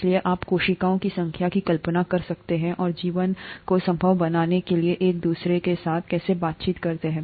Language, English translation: Hindi, So you can imagine the number of cells and how they interact with each other to make life possible